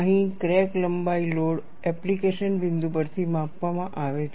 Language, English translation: Gujarati, Here the crack length is measured from the load application point